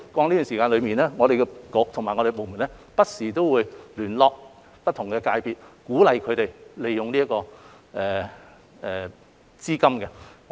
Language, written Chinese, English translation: Cantonese, 一直以來，局方和轄下部門也會不時聯絡不同界別，鼓勵他們利用這些資金。, CEDB and the departments under its purview have been liaising with different sectors from time to time to encourage them to make use of the funds